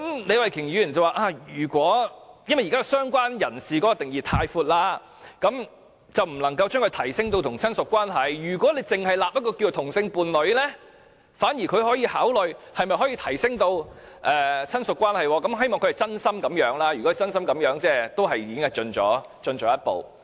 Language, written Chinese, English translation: Cantonese, 李慧琼議員表示，由於現時"相關人士"的定義過闊，所以不能將"相關人士"提升至與親屬關係同等級別，如果訂立"同性伴侶"一項，她反而可考慮可否提升至與親屬關係同等級別，如果她真心這樣想，也算是躍進了一步。, Ms Starry LEE said related person cannot be given the same status as relative as the current definition of related person is too broad . On the contrary if the category same - sex partner is introduced she can consider giving it the same status as relative . It is a big step forward if she really thinks so